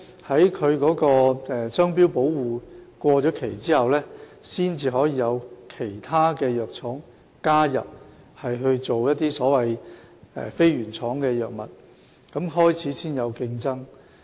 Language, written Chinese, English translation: Cantonese, 當它的商標保護期屆滿後，其他藥廠才可加入推出非原廠藥物，然後才開始有競爭。, It is not until its patent expires that other pharmaceutical companies may join in to introduce generic drugs . Only then will competition commence